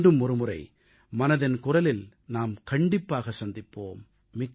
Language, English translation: Tamil, We will meet once again for 'Mann Ki Baat' next time